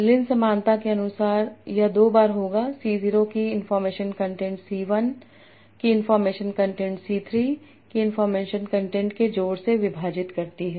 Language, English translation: Hindi, As per Lin similarity, this would be 2 times information content of C0 divided by information content of C1 plus information content of C3